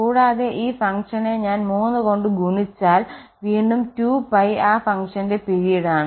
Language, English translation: Malayalam, And for this function if I multiply by 3 so again the 2 pie is also period of that function